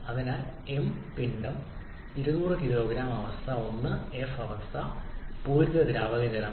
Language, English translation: Malayalam, So mass is 200 kg state 1 is of f state saturated liquid water